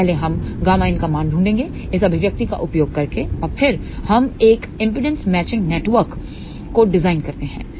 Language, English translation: Hindi, So, first we find out the value of gamma in by using this expression and then, we design a impedance matching network